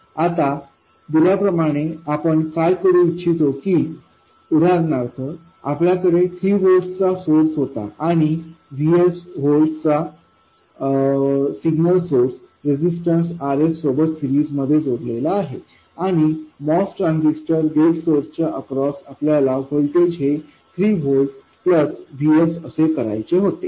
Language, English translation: Marathi, Now given that, what we wanted to do was for instance we had 3 volts and we have our signal source Vs in series with RS and across the gate source of the most transistor we wanted 3 volts plus VS